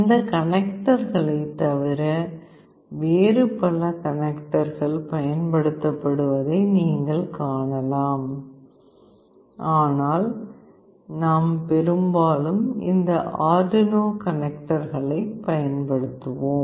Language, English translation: Tamil, You can see that apart from these connectors there are many other connectors that can be used, but in our experiment we have mostly used these Arduino connectors